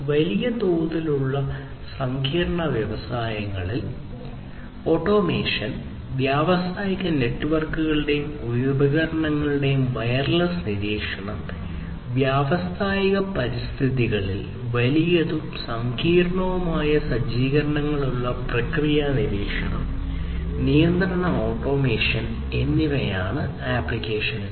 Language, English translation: Malayalam, So, applications are automation in large scale complex industries, wireless monitoring of industrial networks and devices, process monitoring and control automation in the industrial environments with large and complex setups, and so on